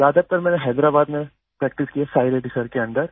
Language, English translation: Hindi, Mostly I have practiced in Hyderabad, Under Sai Reddy sir